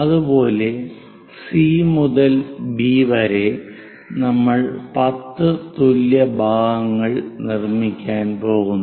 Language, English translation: Malayalam, Similarly, from C to B also 10 equal parts we are going to construct